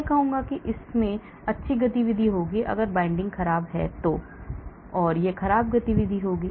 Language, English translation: Hindi, I will say it will have good activity, if the binding is poor I will say it will have poor activity